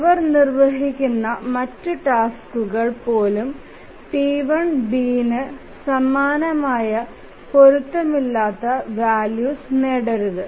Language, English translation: Malayalam, So, even if other tasks they execute, they should not get inconsistent values similar with T2, sorry, T1B